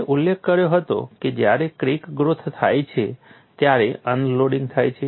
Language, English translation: Gujarati, I had mentioned, when there is crack growth, there is unloading